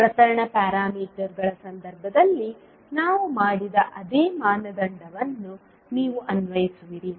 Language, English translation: Kannada, You will apply the same criteria which we did in the case of transmission parameters